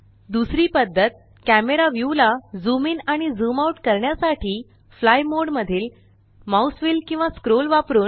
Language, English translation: Marathi, Second method is using the mouse wheel or scroll in fly mode to zoom in and out of the camera view